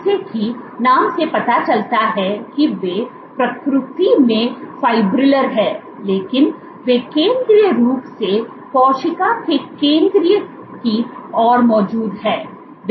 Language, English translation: Hindi, As the name suggests their fibrillar in nature, but they are present central, centrally towards the center of the cell